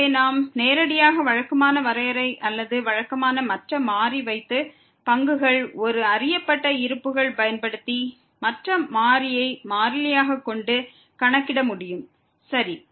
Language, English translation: Tamil, So, we can directly compute using the usual definition or usual a known reserves of the derivatives keeping other variable constant ok